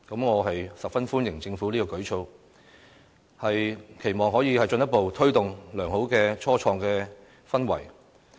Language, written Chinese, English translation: Cantonese, 我十分歡迎政府這項舉措，期望可以進一步推動良好的初創氛圍。, I greatly welcome this policy initiative hoping that the measure could further foster the favourable atmosphere for starting up business in the territory